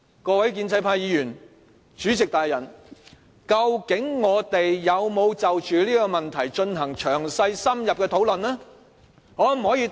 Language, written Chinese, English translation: Cantonese, 各位建制派議員和主席大人，究竟我們有否就着這問題進行詳細深入的討論？, Pro - establishment Members and the esteemed President can you tell us whether there has been any thorough and in - depth discussion on the issue?